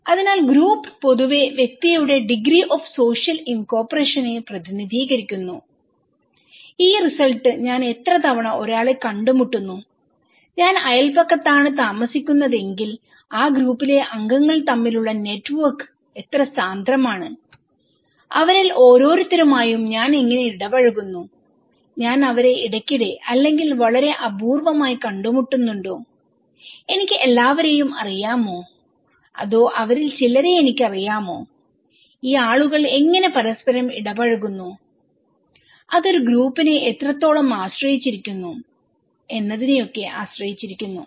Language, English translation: Malayalam, So, group generally represent the degree of social incorporation of the individual, this result how often I am meeting someone, how dense is the network between the members of that group if I am living in the neighbourhood, how I am interacting with each of them, am I meeting them very frequently or very rarely, do I know everyone or do I know some of them so, how this people are interacting with each other, what extent it depends on a group, okay